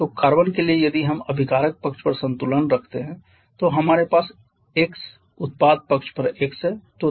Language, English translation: Hindi, So, for carbon if you balance on the reactant side we have 8 on the product side we have x so accordingly we are having x equal to 8